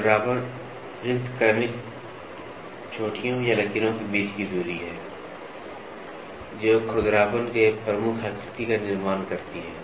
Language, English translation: Hindi, Roughness spacing is the distance between successive peaks or ridges that constitute the predominant pattern of roughness